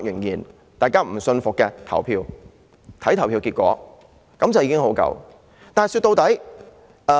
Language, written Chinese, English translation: Cantonese, 如果仍然不信服便投票，看投票結果便足夠。, In case you are still unconvinced let us vote and the voting result will tell